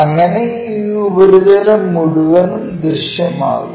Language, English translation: Malayalam, So, this entire surface will be visible